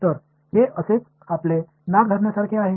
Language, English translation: Marathi, So, that is like holding your nose this way